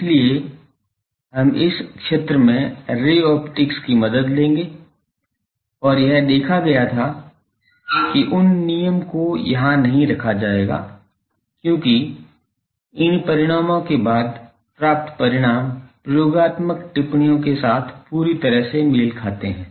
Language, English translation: Hindi, So, we will take help of ray optics at this fields and it had been seen that those laws would not put here because, the results obtained after these fully matches with the experimental observations